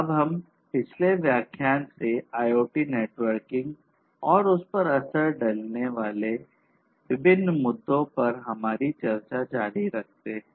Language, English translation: Hindi, So, we now continue our discussions from the previous lecture on IoT Networking and the different issues governing it